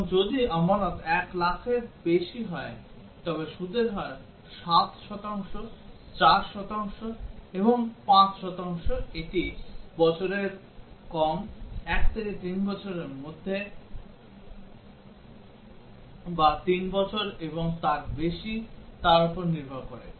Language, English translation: Bengali, And if the deposit is more than 1 lakh then the rate of interest is 7 percent, 8 percent, 9 percent depending on whether it is less than 1 year, between 1 to 3 year, or 3 years and above